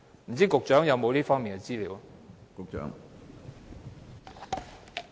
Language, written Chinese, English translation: Cantonese, 不知局長有否這方面的資料？, I wonder if the Secretary has any information on this